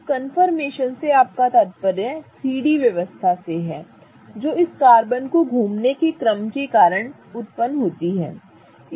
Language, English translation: Hindi, Now, confirmation refers to the 3D arrangement that arises because of rotation of this carbon carbon single bond